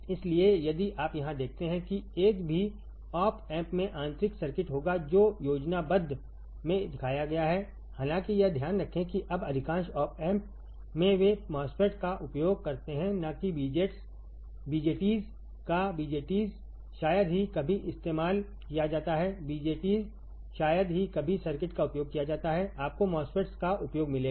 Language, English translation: Hindi, So, if you see here if you see here a single op amp will have internal circuit which is shown in the schematic; however, mind it that now most of the now op amps they use MOSFET and not BJTs; BJTs are seldomly used; BJTs are seldomly used most of the circuit, you will find use of MOSFETs